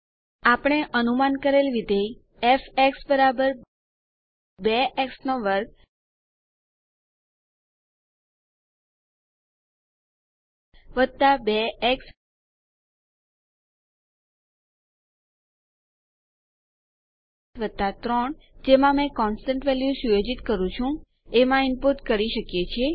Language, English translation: Gujarati, We can input the predicted function to f = 2 x^2 + 2 x + 3 is what i have used to set the constant value as